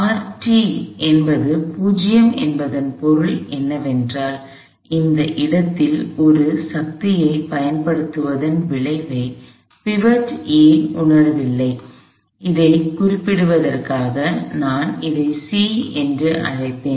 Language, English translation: Tamil, The fact that R t is 0 means, that pivot A does not feel the effect of force being applied at this point, I will call this C, just for the sake of a referring to it